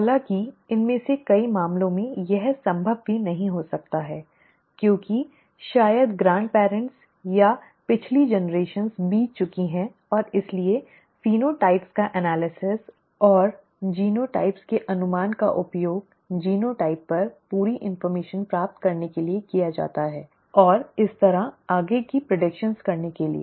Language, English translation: Hindi, However in many of these cases it may not be even be possible because maybe the grandparents and the previous generations have passed on and therefore the analysis of the phenotypes and the guess of the genotypes are used to get as complete an information on the genotype as possible and thereby make further predictions